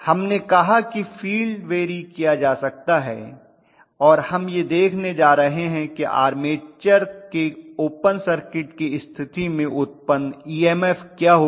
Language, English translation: Hindi, We said field can be varied and we are going to look at what is the generated EMF under open circuit condition of the armature